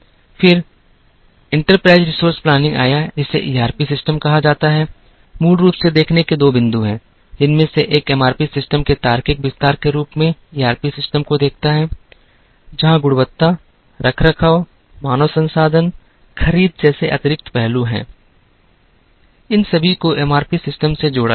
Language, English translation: Hindi, Then, came enterprise resources planning, which are called ERP systems, there are basically two points of view, one of which looks at ERP systems as a logical extension of MRP systems, where additional aspects such as quality, maintenance, human resources, purchase, procurement, all these were added to MRP systems